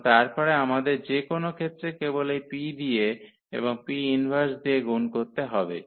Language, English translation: Bengali, So, and then later on we have to in any case just multiply by this P and the P inverse